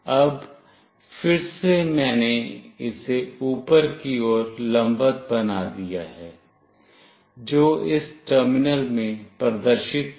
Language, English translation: Hindi, Now, again I have made it vertically up, which is displayed in this terminal